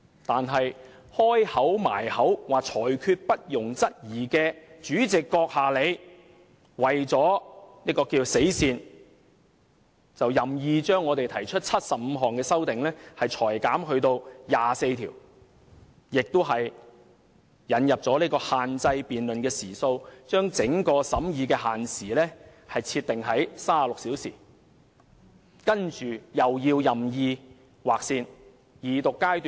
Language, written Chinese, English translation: Cantonese, 但是，將"裁決不容質疑"掛在唇邊的主席閣下，你為了所謂的死線，便任意把我們提出的75項修正案，裁減至24項，更引入限制辯論時數，把整個審議的限時設定為36小時，然後再任意劃線。, But you the Honourable President whose lips are dripping with the words of the Presidents rulings shall be final only ruled in 24 of the 75 amendments we proposed in order to meet the so - called deadline . You also introduced a time limit for debate capping the total hours of the whole scrutiny process at 36